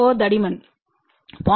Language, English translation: Tamil, 4 thickness is 0